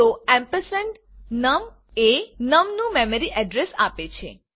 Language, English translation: Gujarati, So ampersand num will give the memory address of num